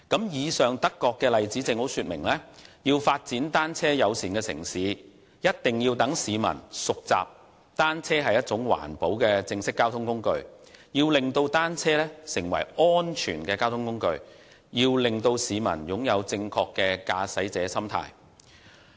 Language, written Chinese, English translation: Cantonese, 以上的德國例子正好說明，要發展單車友善城市，必須先讓市民熟習單車是一種環保的正式交通工具、令單車成為安全的交通工具，以及令市民擁有正確的駕駛者心態。, The example of Germany shows that in order to develop a bicycle - friendly city it is necessary to allow the public to familiarize with the idea that bicycles are a green and formal mode of transport to turn bicycles into a safe mode of transport and to instill a proper driving attitude in the public